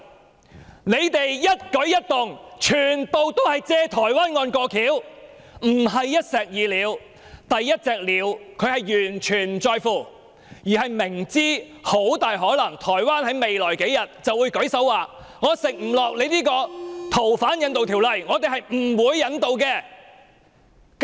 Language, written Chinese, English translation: Cantonese, 他們的一舉一動，全部均是藉台灣案"過橋"，不是一石二鳥，他們完全不在乎第一隻鳥，因為明知台灣很大可能在未來數天便會表示無法接受香港的修例建議。, Each and every act of the authorities is done to piggyback on the Taiwan case instead of killing two birds with one stone because they do not care about the first bird at all and they clearly understand that Taiwan will probably indicate in a few days that it cannot accept the legislative amendment proposal of Hong Kong